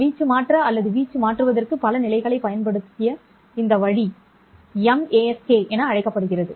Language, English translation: Tamil, This way in which we have used multiple levels for shifting the amplitude or changing the amplitude is called as M ASK